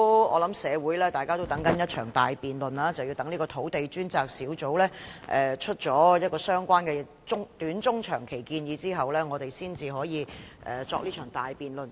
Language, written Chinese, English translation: Cantonese, 我想社會各界也正在期待一場大辯論，但是要待土地供應專責小組提出相關的短、中、長期建議後，我們才可以展開這場大辯論。, I guess various sectors in society are expecting a large - scale debate but it is not until the Task Force on Land Supply has put forth the relevant short - medium - and long - term measures that we can commence such a debate . This is Carrie LAMs first Policy Address in which there are indeed some bright spots